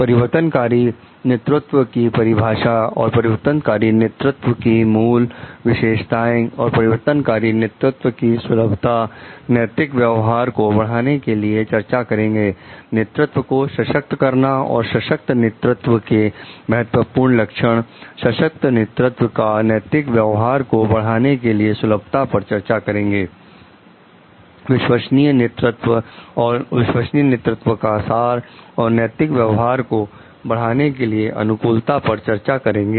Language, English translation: Hindi, Defining transformational leadership and core characteristics of transformational leaders, discussing the suitability of transformational leadership for promoting ethical conduct, empowering leadership and key features of empowering leaders, discussing the suitability of empowering leadership for promoting ethical conduct, authentic leadership and essence of authentic leadership, suitability for encouraging ethical conduct